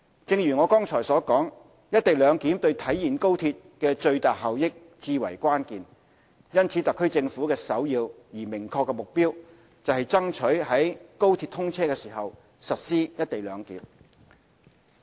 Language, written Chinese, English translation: Cantonese, 正如我剛才所述，"一地兩檢"對體現高鐵的最大效益至為關鍵，因此特區政府的首要而明確的目標，是爭取於高鐵通車時實施"一地兩檢"。, As I mentioned before implementing co - location of CIQ facilities at WKT is key to realizing the maximum benefits of the XRL . Therefore the foremost and obvious objective of the Government is to try to implement co - location arrangement at the commissioning of the XRL